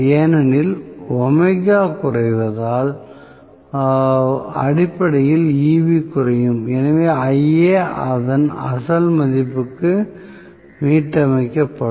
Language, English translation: Tamil, Because omega decreases, I will have essentially Eb decreases; so, Ia will be restored to its original value, right